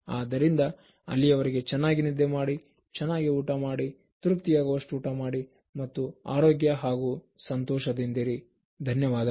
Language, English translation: Kannada, So, till then, have a good sleep, eat well, eat sufficiently well and then stay happy, stay healthy